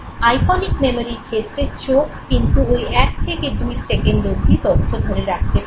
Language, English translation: Bengali, Now, iconic memory that has to do with the eyes can hold information for up to 1 to 2 seconds